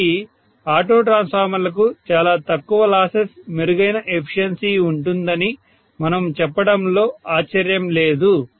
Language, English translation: Telugu, So no wonder we say auto transformers have much less losses, much better efficiency, right